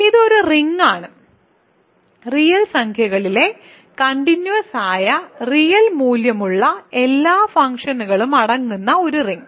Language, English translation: Malayalam, So, this is a ring of this is a ring consisting of all continuous real valued functions on real numbers ok